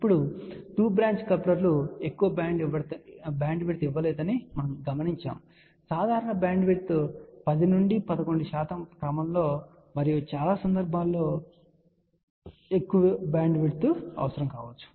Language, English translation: Telugu, Now, we notice that the two branch couplers do not give too much bandwidth typical bandwidth obtained is of the order of 10 to 11 percent and many cases you may require larger bandwidth